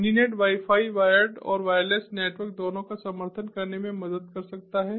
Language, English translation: Hindi, mininet wi fi can help support both wired and wireless network